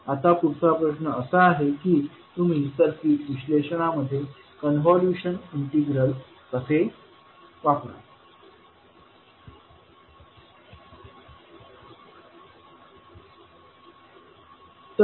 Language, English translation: Marathi, Now the next question would be how you will utilize the convolution integral in circuit analysis